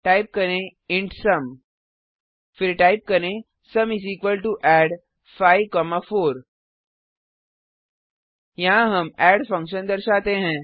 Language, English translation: Hindi, Type int sum Then type sum = add(5,4) Here we call the add function